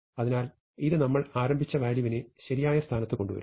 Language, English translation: Malayalam, So, this brings the value that we started with, is in correct position